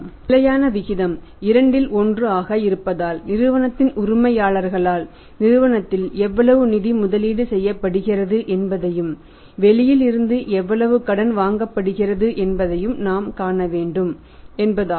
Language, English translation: Tamil, The standard ratio is 2 : 1 so it means we will have to see that how much funds are invested by the owners of the company in the company and how much is borrowed from the outside and then you have to see that what is the ratio between the insider and outsider of funds